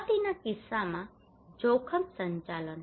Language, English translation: Gujarati, In case of disaster risk management